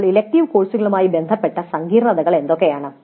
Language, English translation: Malayalam, Now what are the complexities with respect to the elective courses